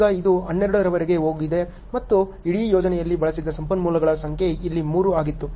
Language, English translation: Kannada, Now, it has gone till 12 and the number of resource consumed on the whole project was 3 here